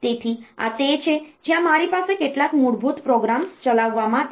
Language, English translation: Gujarati, So, this is the there I can have some basic programs to be executed